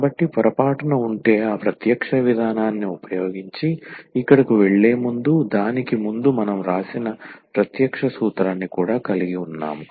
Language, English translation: Telugu, So, if by mistake, before we go to that point here using that direct approach which we have written down before that we have a direct formula as well